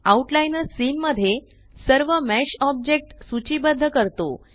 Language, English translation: Marathi, So the outliner lists all the mesh objects in the scene